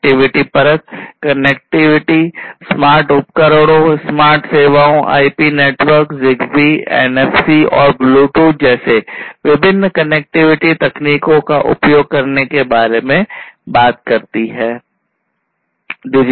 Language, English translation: Hindi, Connectivity layer talks about the overall connectivity, smart devices, smart services; you know using different connectivity technologies such as IP networks, ZigBee, NFC, Bluetooth etc